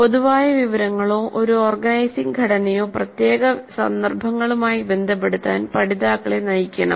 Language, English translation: Malayalam, Learners should be guided to relate the general information or an organizing structure to specific instances